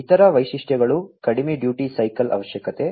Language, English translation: Kannada, Other features low duty cycle requirement